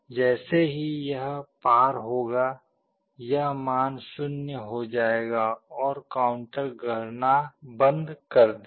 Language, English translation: Hindi, As soon as it crosses, this value will become 0 and the counter will stop counting